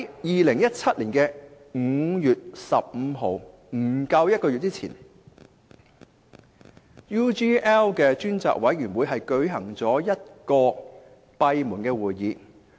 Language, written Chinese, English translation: Cantonese, 2017年5月15日，即不足1個月前，專責委員會舉行了1次閉門會議。, On 15 May 2017 that is less than a month ago the Select Committee held a closed - door meeting